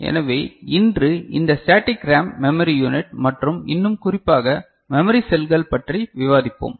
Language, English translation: Tamil, So, today we discuss this static RAM memory unit and more specifically the memory cells